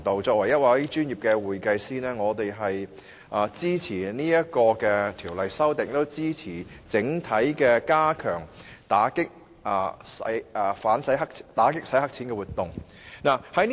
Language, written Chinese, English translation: Cantonese, 作為專業會計師，我們支持《條例草案》所作的修訂，並支持整體加強打擊洗黑錢的活動。, As professional accountants we support the amendments made by the Bill as well as an overall strengthening of the combat against money laundering activities